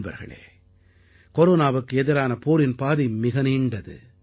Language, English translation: Tamil, the path of our fight against Corona goes a long way